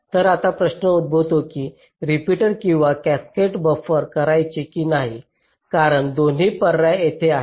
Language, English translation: Marathi, so now the question arises whether to use repeaters or cascaded buffers, because both the options are there